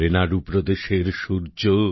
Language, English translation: Bengali, The Sun of Renadu State,